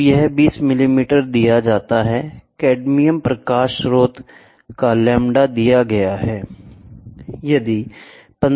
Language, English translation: Hindi, So, this is given 20 millimeters, the wavelength of the cadmium light source lambda is given